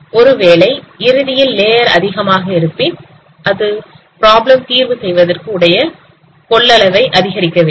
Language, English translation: Tamil, So even if you increase the layer, finally it is not increasing the capacity of problem solving